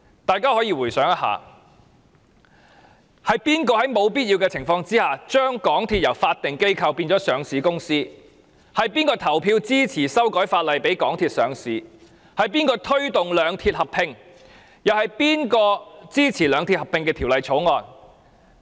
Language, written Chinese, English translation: Cantonese, 大家回想一下，是誰在沒有必要的情況下，把港鐵由法定機構變為上市公司；是誰投票支持修改法例讓港鐵上市；是誰推動兩鐵合併；是誰支持《兩鐵合併條例草案》。, Who allowed MTRCL to turn into a listed company from a statutory organization when the situation did not call for such a change? . Who voted for the legislative amendment to allow MTRCL to be listed? . Who promoted the merger of the two railway companies?